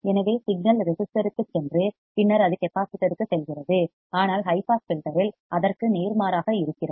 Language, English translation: Tamil, So, the signal goes to the resistor and then it goes to the capacitor, but in the high pass filter it is opposite of that